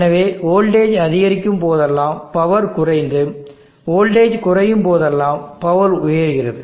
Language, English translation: Tamil, So whenever the voltage is increasing the power is decreasing and the voltage is decreasing power increases